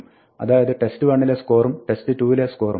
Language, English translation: Malayalam, So, the score in test 1 and the score in test 2